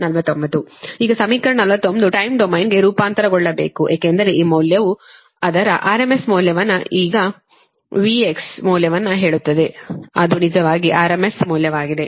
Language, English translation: Kannada, now, this equation forty nine you have to transform to time domain, because this value, actually its, say, r m s value, this v x value, actually it's a r m s value